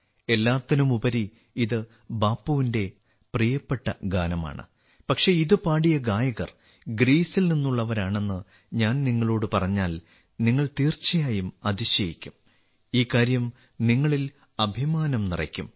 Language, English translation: Malayalam, After all, this is Bapu'sfavorite song, but if I tell you that the singers who have sung it are from Greece, you will definitely be surprised